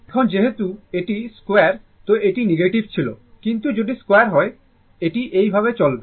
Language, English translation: Bengali, Now, because it is square this was negative, but if you square it, is it is going like this